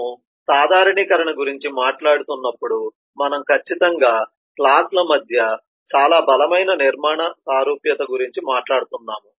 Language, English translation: Telugu, when we are talking about generalisation, we have certainly talking about a very strong structural similarity between the classes in dependency